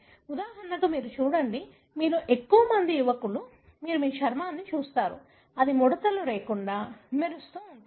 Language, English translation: Telugu, For example you look at, most of you are youngsters you look at our skin, it will be very, you know, wrinkle free, glowing and so on